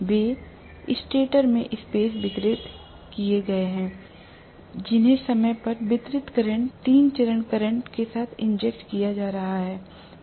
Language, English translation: Hindi, That are space distributed in the stator, which are being injected with time distributed current, three phase current